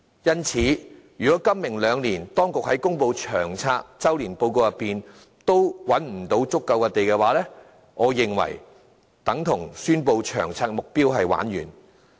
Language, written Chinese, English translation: Cantonese, 因此，如果今、明兩年當局在公布《長遠房屋策略》周年報告時仍無法覓得足夠土地建屋的話，我認為這便等同宣布《長遠房屋策略》的目標完蛋。, Therefore if the Government fails to secure sufficient land for housing construction by the time the LTHS annual progress report for this year and that for next year are announced I will deem the LTHS target a total fiasco